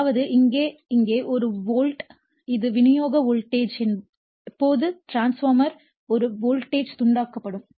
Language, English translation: Tamil, That means, here a actually here a volt this is supply voltage anyway for the ideal transformer a voltage will be induced